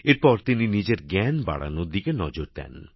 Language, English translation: Bengali, In such a situation, he focused on enhancing his own knowledge